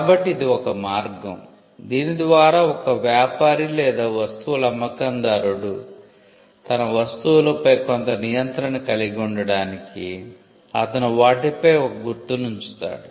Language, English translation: Telugu, So, this was an initial way by which when a trader or a seller of a goods when he had to have some kind of control over his goods, he would put a mark on it, so that marks could identify the owner